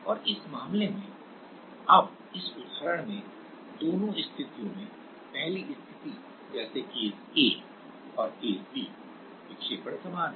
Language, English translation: Hindi, And in this case, in this example now, for the case one like case a and case b, in both the cases; the deflection is same